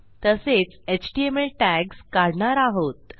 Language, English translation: Marathi, We are also going to move html tags